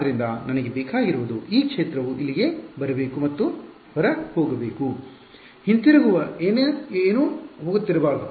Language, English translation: Kannada, So, what I want is that this field should come over here and just go off; there should be nothing that is going back right